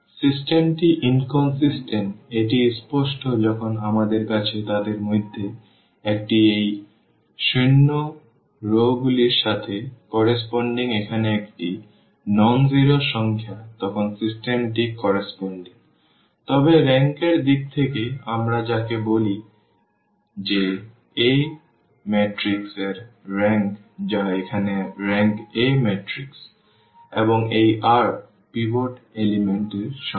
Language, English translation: Bengali, The system is inconsistent, that is clear whenever we have one of them is a nonzero number here corresponding to this zero rows then the system is inconsistent, but in terms of the rank what we can call that the rank of A matrix which is this one here the rank of A matrix this one it is this r, the number of pivot elements